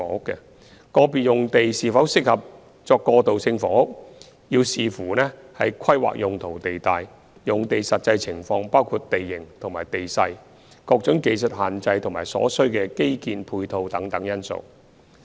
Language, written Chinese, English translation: Cantonese, 個別用地是否適合作過渡性房屋，須視乎規劃用途地帶、用地實際情況包括地形和地勢、各種技術限制或所需基建配套等因素。, Whether an individual site is suitable for transitional housing depends on its land use zoning and actual site conditions including its topography technical constraints or infrastructural facilities required